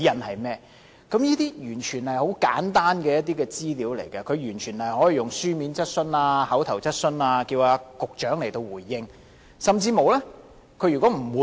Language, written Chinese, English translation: Cantonese, 這些全部都是很簡單的資料，梁議員可以書面質詢或口頭質詢的形式要求保安局局長回應。, These are all very simple data . Mr LEUNG can request the response from the Secretary for Security by means of a written or oral question